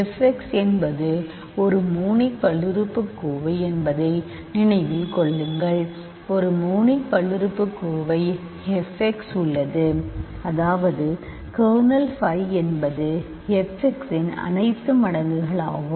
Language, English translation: Tamil, Remember f x is a monic polynomial by choice, there is a monic polynomial f x such that kernel phi is all multiples of f x